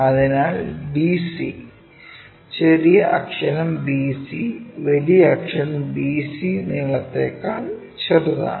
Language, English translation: Malayalam, So, bc, lower case letter bc is smaller than upper case letter BC length